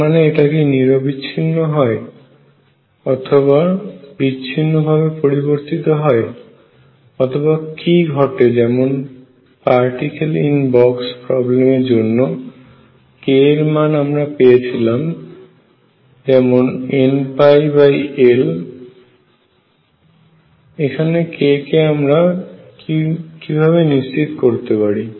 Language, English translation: Bengali, That means, is it continuous does it change discontinuously or what happens recall that for particle in a box problem k was one pi over L here how do we fix k